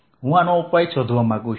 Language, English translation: Gujarati, so i found the solution